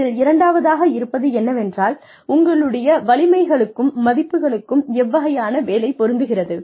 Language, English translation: Tamil, The second level of this is, what kind of work fits your strengths and values